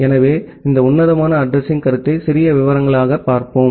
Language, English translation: Tamil, So, let us look into this classful addressing concept in little details